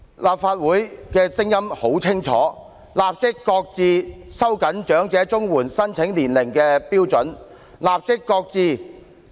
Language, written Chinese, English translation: Cantonese, 立法會的聲音很清晰，就是立即擱置收緊長者綜援年齡要求的措施。, This Council is clear in its stance in demanding the immediate shelving of the measure to tighten the age requirement for elderly CSSA